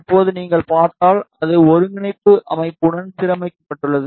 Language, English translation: Tamil, Now, if you see, it is aligned with the coordinate system